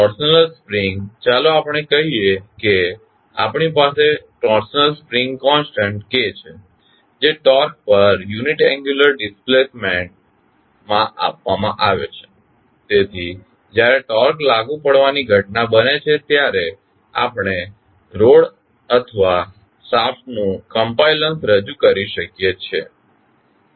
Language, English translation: Gujarati, Torsional spring let us say we have a torsional spring constant k that is given in torque per unit angular displacement, so we can devised to represent the compliance of a rod or a shaft when it is subject to applied torque